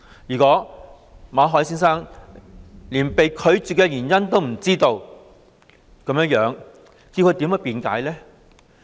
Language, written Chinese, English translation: Cantonese, 如果馬凱先生連被拒絕的原因也不知道，他如何辯解呢？, Without even knowing the reasons for refusal how can Mr MALLET defend his case?